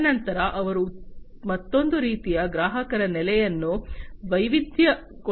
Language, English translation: Kannada, And thereafter, they want to diversify to another type of customer, you know, customer base